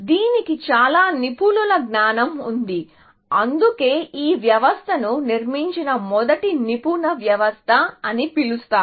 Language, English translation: Telugu, It has got a lot of expert knowledge built into it, and that is why, this system is called the first expert system that was built, essentially